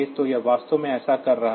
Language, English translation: Hindi, So, this is actually doing that